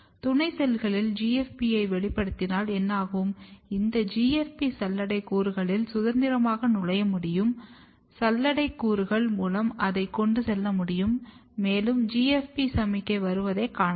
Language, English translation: Tamil, And what happens if you express GFP in the companion cells, this GFP can freely enter in the sieve element, through sieve elements it can transport, and you can see that here is the GFP signal coming